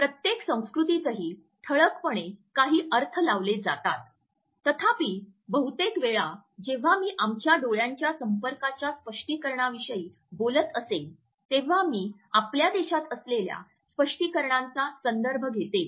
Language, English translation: Marathi, There are certain dominant interpretations in every culture also; however, most of the times when I would be talking about the interpretations of our eye contact, I would refer to the dominant interpretations which we have in our country right now